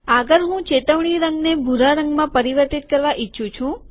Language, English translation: Gujarati, Next what I want to do is change the alerted color to blue